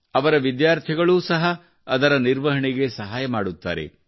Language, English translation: Kannada, His students also help him in their maintenance